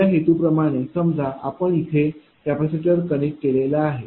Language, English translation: Marathi, So, as our objective in our capacitor suppose we have connected a capacitor here right